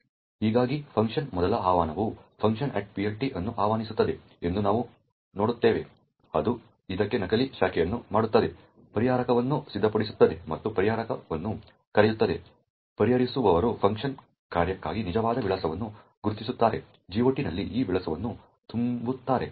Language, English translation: Kannada, Thus we see that the first invocation of the func invokes func at PLT which in turn just makes a dummy branch to this, prepares the resolver and calls the resolver, the resolver identifies the actual address for the func function, fills that address in the GOT entry over here and then invokes the function